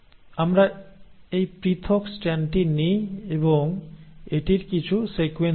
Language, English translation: Bengali, So let us take this separated strand and let us let us give it some sequence